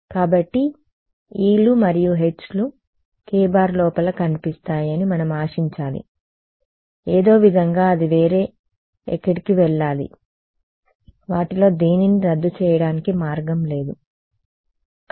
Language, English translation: Telugu, So, we should expect that somehow these e’s and h’s small e’s and small h’s will appear inside this k somehow where else right it has to go some were there is no way for any of it cancel off ok